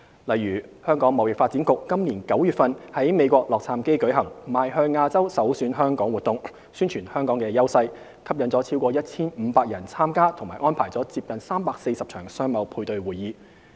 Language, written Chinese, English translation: Cantonese, 例如香港貿易發展局今年9月在美國洛杉磯舉行"邁向亞洲˙首選香港"活動，宣傳香港的優勢，吸引逾 1,500 人參加及安排了接近340場商貿配對會議。, For example the Hong Kong Trade Development Council HKTDC organized the Think Asia Think Hong Kong event in Los Angeles the United States in September this year to promote Hong Kongs advantages . The event attracted over 1 500 participants and about 340 business - matching meetings were arranged